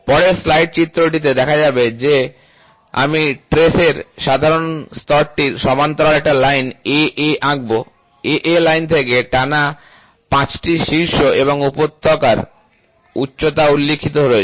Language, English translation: Bengali, As can be seen in the figure in the next slide, which I will draw a line AA parallel to the general lay of the trace is drawn, the height of 5 consecutive peak and valleys from the line AA are noted